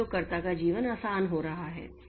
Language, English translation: Hindi, So, the life of the system, life of the user is becoming easy